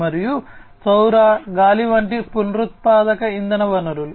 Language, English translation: Telugu, And renewable energy sources like you know solar, wind etc